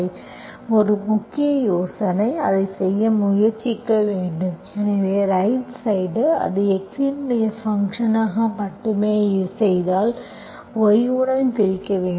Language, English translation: Tamil, So the main idea is to try to do it, so if you, right hand side, if I make it only function of x, I have to divide with cos square y